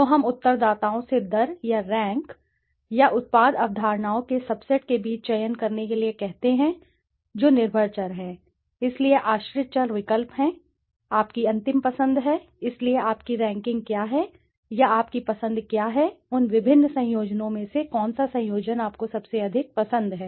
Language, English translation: Hindi, So we ask the respondents to rate or rank rate or rank or choose among the subset of the product concepts which are the dependent variable, so the dependent variable is choice, your final choice, so which one what is your ranking or what is your choice among those various combinations which one which combination do you like most